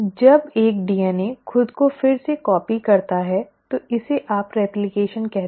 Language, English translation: Hindi, When a DNA is re copying itself this is what you call as replication